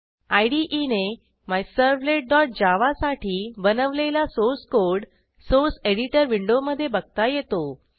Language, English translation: Marathi, The source code created by the IDE for MyServlet.java is seen in the Source Editor Window